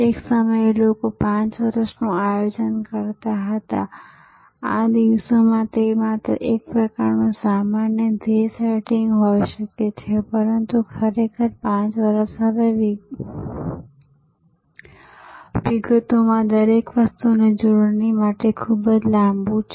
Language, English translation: Gujarati, At one time people used to do 5 years planning, these days that can only be a sort of general goal setting, but really 5 years is now too long for spelling out everything in details